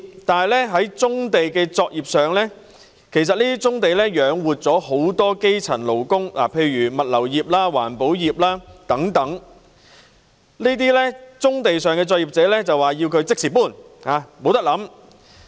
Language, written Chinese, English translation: Cantonese, 但是，對於棕地上的現有作業——其實這些作業養活了很多基層勞工，例如物流業和環保業等——反對者卻要求這些作業者立即搬走，不容他們考慮。, Nevertheless as regards the exsiting operations on brownfield sites―in fact operations such as the logistics industry and the environmental protection industry provide for the livelihood of many grassroot workers―the opponents asked such operators to move out immediately and did not allow the latter to consider